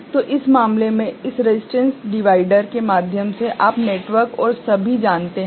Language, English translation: Hindi, So, in this case through this resistance divider you know network and all